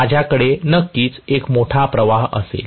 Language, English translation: Marathi, I am going to have definitely a larger current